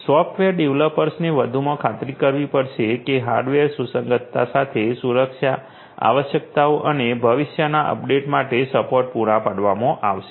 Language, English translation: Gujarati, The software developers will also additionally have to ensure that the security requirements with hardware compatibility and support for future updates are provided